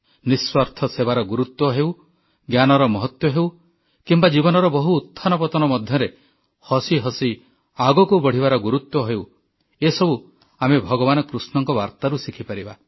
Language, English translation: Odia, The importance of selfless service, the importance of knowledge, or be it marching ahead smilingly, amidst the trials and tribulations of life, we can learn all these from Lord Krishna's life's message